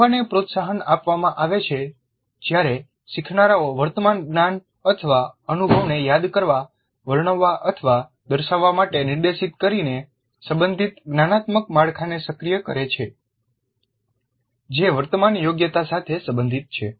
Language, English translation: Gujarati, Learning is promoted when learners activate a relevant cognitive structures by being directed to recall, describe or demonstrate the prior knowledge or experience that is relevant to the current competency